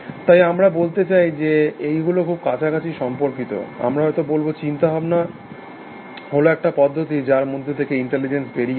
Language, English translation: Bengali, So, we sort of say that they are closely correlated, thinking is the process how to of which intelligence arises, we might say